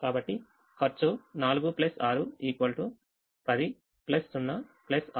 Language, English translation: Telugu, so the cost is four plus six